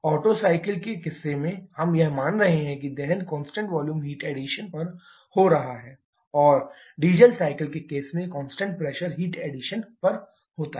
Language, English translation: Hindi, Like in case of Otto cycle we are assuming combustion to take place at constant volume heat addition in case of diesel cycle at constant pressure heat addition